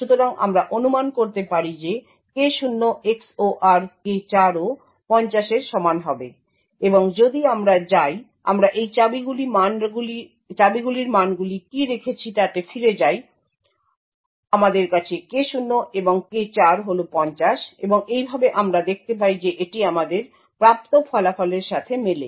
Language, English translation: Bengali, So thus we can infer that K0 XOR K4 would be equal to 50 and if we go back to what we have kept the values of these keys we have K0 and K4 is 50 and thus we see it matches the results that we obtain